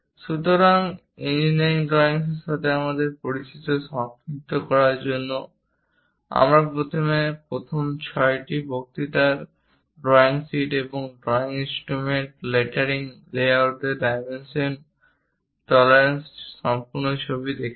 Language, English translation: Bengali, So, to summarize our introduction to engineering drawings, we first looked at drawing sheets, drawing instruments, lettering layouts complete picture on dimensioning tolerances in the first 6 lectures